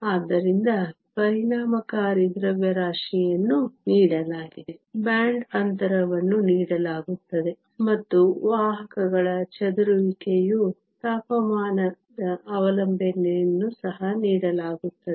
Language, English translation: Kannada, So, the effective masses are given, the band gap is given, and the temperature dependence of the carriers scattering time is also given